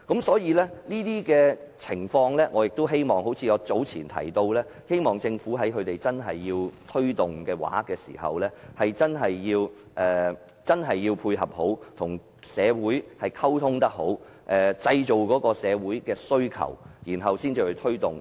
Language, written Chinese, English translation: Cantonese, 所以，正如我早前所說，我希望政府在社區推動這些項目時，必須好好配合並與社會人士溝通，製造社會人士的需求後再推動這些項目。, Hence as I said earlier I hope in promoting such projects in the community the Government must coordinate and communicate with the community so as to ascertain the needs of the community